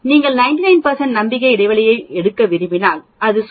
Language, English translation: Tamil, If you want take a 99 percent confidence interval it is about 2